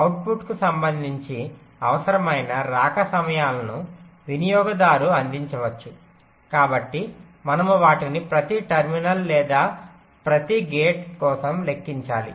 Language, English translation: Telugu, required arrival times may be provided by the user with respect to the output, so we have to calculated them for every terminal or every gate